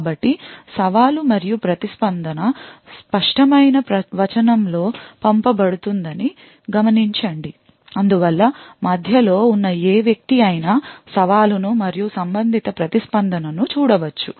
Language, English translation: Telugu, So, note that we said that the challenge and the response is sent in clear text and therefore any man in the middle could view the challenge and the corresponding response